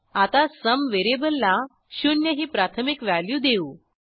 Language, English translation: Marathi, Now, we initialize the variable sum as zero